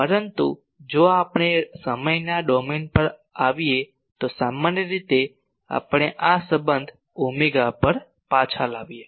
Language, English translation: Gujarati, But if we come to time domain generally we bring back to this relation omega, ok